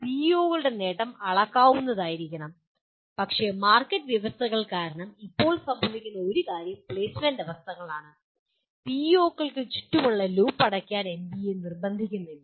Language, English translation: Malayalam, The attainment of PEOs should be measurable but one thing that happens as of now because of the market conditions are the placement conditions NBA does not insist on closing the loop around PEOs